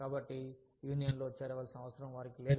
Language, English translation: Telugu, So, they do not feel, the need to join a union